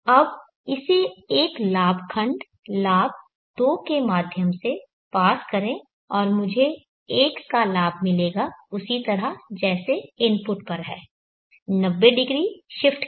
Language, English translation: Hindi, Now pass this through a gain block, gain of 2 and I will get 1 gain same as the input and with the 90° shift, so if I am having xm sin